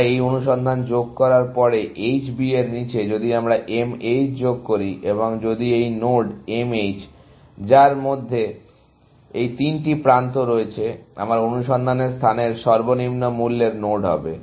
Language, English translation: Bengali, After we added this search; below H B, if we add M H, and if this node M H, which includes these three edges, happens to be the lowest cost node in my search space